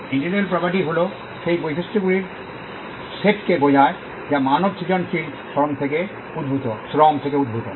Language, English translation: Bengali, Intellectual property refers to that set of properties that emanates from human creative labour